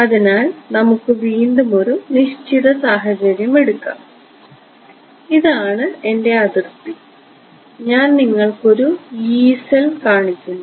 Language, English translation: Malayalam, So, let us take a definite case again this is my boundary and I am showing you one Yee cell ok